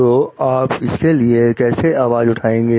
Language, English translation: Hindi, So, how do you go about voicing for it